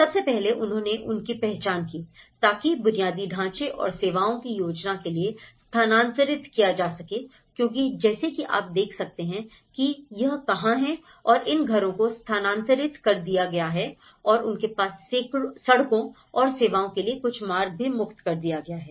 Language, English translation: Hindi, First, what they did was they identified that could be relocated in order to plan for infrastructure and services because you look at or identified so that is where and these are, these houses have been relocated and they have some passage for roads and services has been freed up